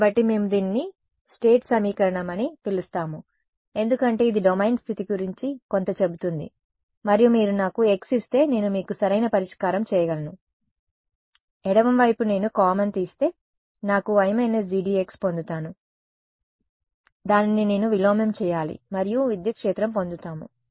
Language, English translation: Telugu, So, we call this what this is given a name is call the state equation because it tells something about the state of the domain and if I am if I if you give me x I can solve for u right I can take u common from the left hand side I will get identity minus G D x which I have to invert and get the electric field right